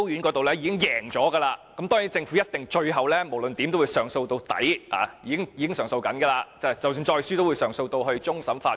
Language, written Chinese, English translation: Cantonese, 該宗案件已在高等法院勝訴，但政府當然會上訴到底，並且已經在進行上訴，即使再次敗訴，也一定會上訴至終審法院。, The challenge was successful in the High Court but the Government will surely exhaust all appeal channels . Furthermore it has already lodged an appeal and if it loses again it will surely take the case to the Court of Final Appeal